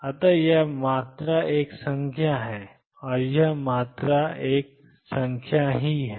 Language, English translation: Hindi, So, this quantity is a number and this quantity is a number